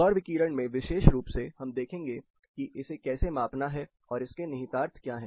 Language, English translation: Hindi, In Solar radiations, specifically we will look at how to measure and what are its implications